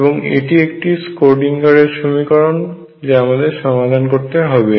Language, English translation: Bengali, This is a Schrödinger equation that we want to solve